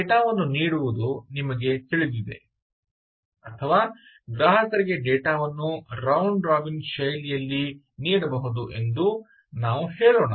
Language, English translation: Kannada, lets say, you know, giving data or for consumers, data can be served in a round robin fashion